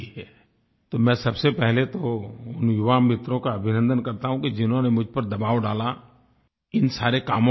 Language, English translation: Hindi, So first I would like to felicitate my young friends who put pressure on me, the result of which was that I held this meeting